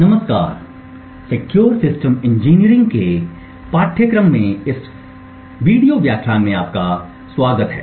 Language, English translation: Hindi, Hello and welcome to this lecture in the course for Secure Systems Engineering